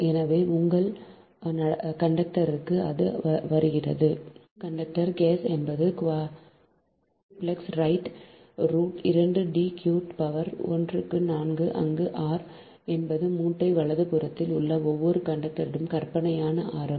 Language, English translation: Tamil, so that is why it is coming that for your, for your conductor, four, ah, four, conductor case, that is quadruplex, right, r dash root, two, d cube to the power one upon four, where r dash is the fictitious radius of each conductor in the bundle right